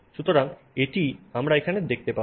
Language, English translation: Bengali, So, that is what we will see here